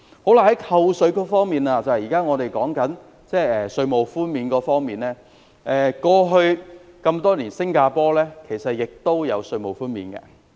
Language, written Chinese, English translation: Cantonese, 在扣稅方面，即我們正在討論的稅務寬免，新加坡在過去多年亦有稅務寬免。, As for tax concession or tax reduction currently under discussion Singapore has also introduced tax reduction over the years